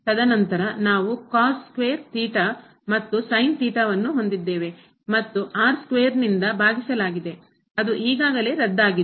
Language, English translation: Kannada, And then, we have cos square theta and sin theta and divided by square which is already cancelled